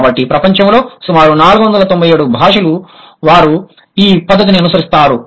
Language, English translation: Telugu, So approximately 497 languages in the world, they follow this pattern